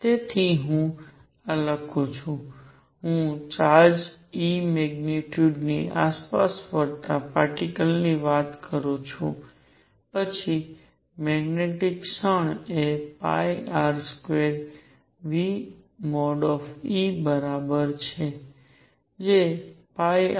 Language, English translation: Gujarati, So, let me write this I am talking about a particle moving around charge e magnitude then the magnetic moment is equal to pi R square nu e